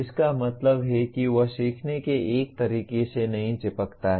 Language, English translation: Hindi, That means he does not stick to one way of learning